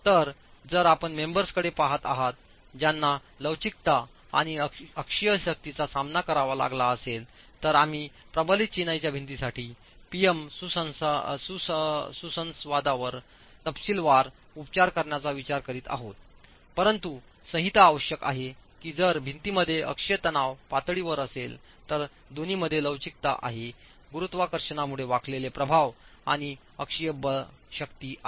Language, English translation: Marathi, So if you are looking at members that are subjected to flexure and axial forces, we would be looking at treating PM interactions for reinforced masonry walls in detail, but the code requires that if the axial stress levels in a wall that has both flexure bending effects and axial forces due to gravity